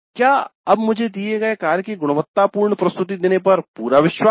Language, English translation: Hindi, I am now quite confident of making quality presentation of given work